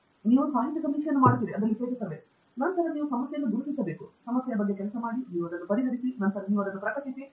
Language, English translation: Kannada, You do literature survey, then you identify a problem, and work on the problem, you solve it, then you publish it, you get out